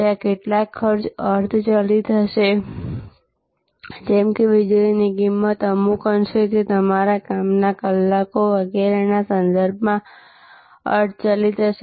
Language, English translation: Gujarati, There will be some of the costs are semi variable like the electricity cost, to some extent it will be variable with respect to your hours of operation and so on